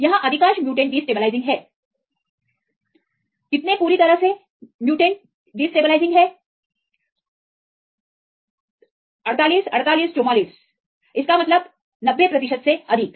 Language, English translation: Hindi, Here, most of the mutants are destabilizing how many totally, totally how many mutants 48, 48, 44 are destabilizing; that means, more than 90 percent or above 90 percent